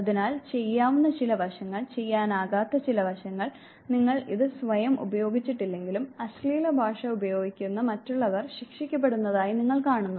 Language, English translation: Malayalam, So, certain doable aspects, certain non doable aspects, you have not used it yourself, but you have seen that others who use slangs were punished